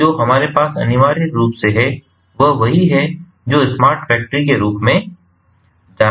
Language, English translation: Hindi, so what we have essentially is what is well known as the smart factory